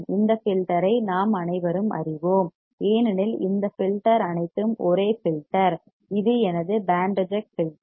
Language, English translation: Tamil, We all know this filter because all this filter is same filter, which is my band reject filter